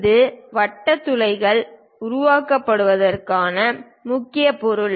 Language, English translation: Tamil, The main object is this on which these circular holes are created